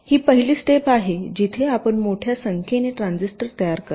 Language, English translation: Marathi, so the first step: you create a large number of transistors which are not connected